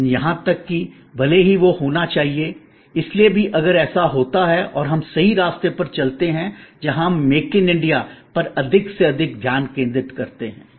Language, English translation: Hindi, But, even that, even if that and that should happen, so even if that happens and we go on the right path, where we focus more and more on make in India